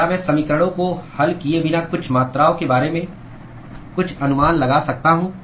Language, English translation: Hindi, Can I make some estimate about certain quantities without solving the equations